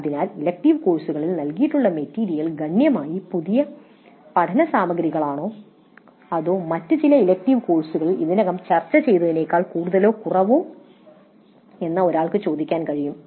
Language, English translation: Malayalam, So one can ask whether the material provided in that elective course is substantially new learning material or is it more or less what is already discussed in some other elective courses